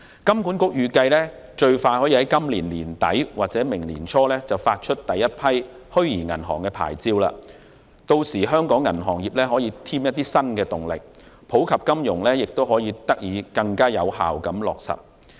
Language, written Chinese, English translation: Cantonese, 金管局預計最快可於今年年底或明年年初發出第一批虛擬銀行牌照，屆時可望為香港銀行業加添新動力，並更有效地落實普及金融。, HKMA expects that the first batch of virtual banking licences can be issued at the end of this year or early the next . It is expected to add new impetus to the banking industry in Hong Kong and help implement financial inclusion more effectively